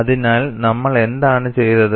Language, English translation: Malayalam, So, what we have done